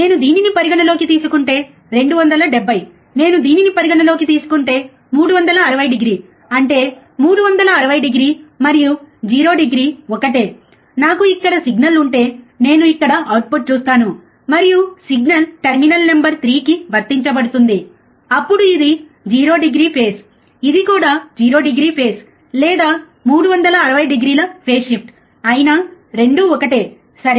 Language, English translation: Telugu, If I consider this one, 270 if I consider this one, 360 degree; that means, 360 degree and 0 degree is the same thing; that means that, if I have a signal here I see the output here and the signal is applied to terminal number 3, then this is 0 degree phase this is also 0 degree phase or 360 degree phase shift, it means same thing, right